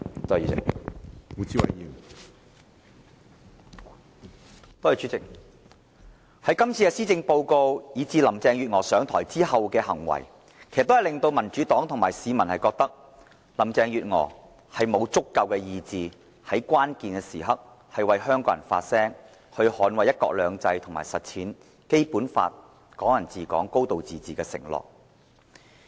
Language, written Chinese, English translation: Cantonese, 主席，林鄭月娥這份施政報告，以及她上台後的行為，都令民主黨和市民覺得她沒有足夠的意志，在關鍵時刻為香港人發聲，捍衞"一國兩制"和實踐《基本法》中"港人治港"、"高度自治"的承諾。, President judging from this Policy Address of Carrie LAM and her behaviour after taking helm both the Democratic Party and the public believe she lacks the necessary determination to speak up for Hong Kong people during critical times for the sake of safeguarding one country two systems and implementing Hong Kong people ruling Hong Kong as well as a high degree of autonomy as promised in the Basic Law